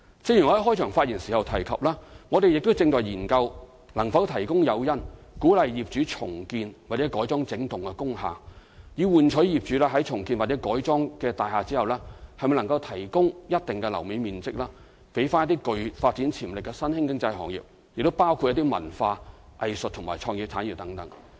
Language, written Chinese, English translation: Cantonese, 正如我在開場發言時提及，我們正研究能否提供誘因，鼓勵業主重建或改裝整幢工廈，以換取業主於重建或改裝後的大廈提供一定樓面面積予具發展潛力的新興經濟行業，包括文化、藝術及創意產業等。, As I mentioned in the beginning we are considering whether or not to provide incentives for owners of industrial building units to renew or retrofit the entire buildings in exchange for a certain floor area in the renewed or retrofitted buildings for emerging economic activities with development potentials including cultural arts and creative industries